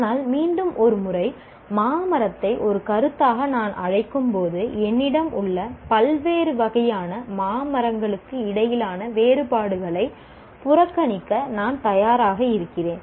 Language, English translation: Tamil, But once again, when I call a mango tree as a concept, I am willing to ignore the differences between different types of mango trees that I have